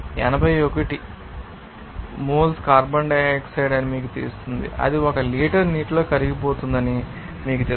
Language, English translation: Telugu, 081 moles of carbon dioxide, you know that will be dissolved in 1 liter of water